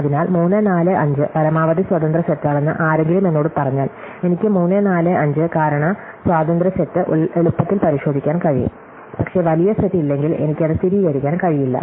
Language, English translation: Malayalam, So, if somebody tells me 3, 4, 5 is a maximum independent set, I can verify easily the 3, 4, 5 reason independence set, but I cannot necessarily verify that, if there is no larger set